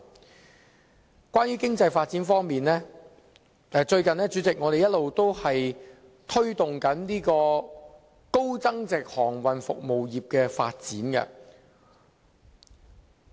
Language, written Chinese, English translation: Cantonese, 主席，關於經濟發展方面，我們最近一直推動高增值航運服務業的發展。, President speaking of economic development Hong Kong has been promoting the development of a high value - added maritime services industry these days